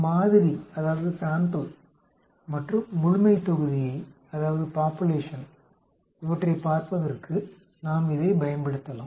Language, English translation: Tamil, We can use this for looking at sample versus population